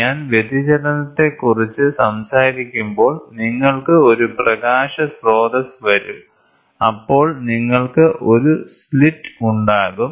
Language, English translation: Malayalam, So, when I talk about diffraction, you will have a source of light coming then you have a slit